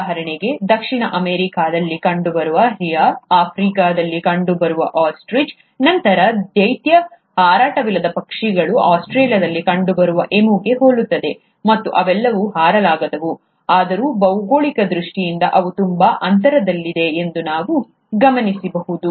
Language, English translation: Kannada, For example, he observed that giant flightless birds like Rhea which is found in South America, Ostrich which is found in Africa to Emu which is found in Australia, they all look similar, and they all are flightless, yet they are so much spaced apart in terms of the geography